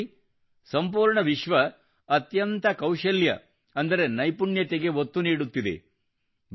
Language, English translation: Kannada, And now see, today, the whole world is emphasizing the most on skill